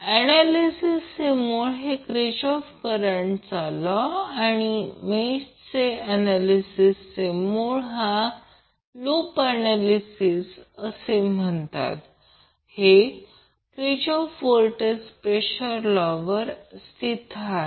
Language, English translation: Marathi, So the basis of nodal analysis is Kirchhoff current law and the basis for mesh analysis that is also called as loop analysis is based on Kirchhoff voltage law